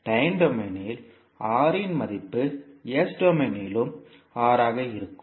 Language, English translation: Tamil, So a value of R in time domain will remain R in s domain also